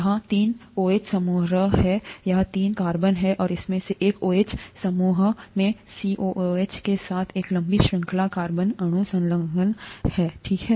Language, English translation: Hindi, It has three OH groups here, three carbons here, and to one of these OH groups, a long chain carbon molecule with a COOH gets attached, okay